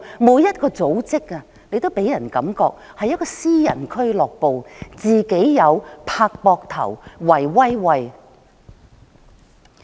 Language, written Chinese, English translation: Cantonese, 每一個組織也讓人覺得是私人俱樂部，"自己友"、"拍膊頭"、"圍威喂"。, Each and every organization just gives people the impression of a private club for cronyism amongst peers